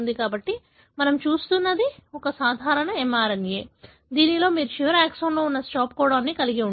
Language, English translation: Telugu, So, what we are seeing is a normal mRNA, wherein you have a stop codon that is present in the last exon